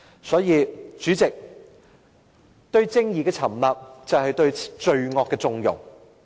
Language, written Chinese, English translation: Cantonese, 所以，代理主席，對正義沉默，便是對罪惡縱容。, Hence Deputy President to keep silent in front of justice is to connive crime